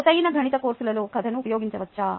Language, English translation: Telugu, can storytelling be used in math intensive courses